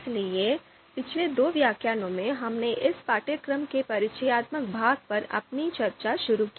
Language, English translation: Hindi, So in the previous two lectures, we started our discussion on the introductory part of the course